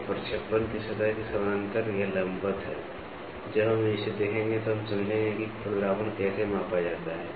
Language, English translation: Hindi, So, parallel to the plane of projection, this is perpendicular to the so, when we look at this we will should understand how is the roughness measured